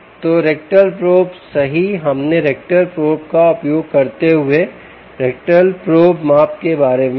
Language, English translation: Hindi, right, we, we said about the rectal probe measurement using ah, ah measurement using the rectal probe